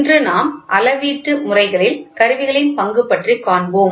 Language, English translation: Tamil, So, today, we will see the topic, role of the instruments in measurement systems